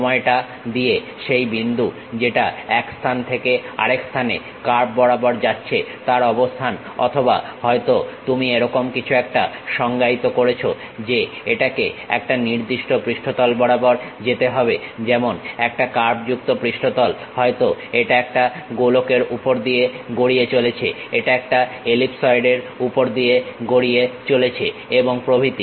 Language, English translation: Bengali, With the time the location of that point moving from one location to another location along the curve or perhaps you are defining something like it has to go along particular surface like a curved surface, maybe it might be rolling on a sphere, it might be rolling on an ellipsoid and so on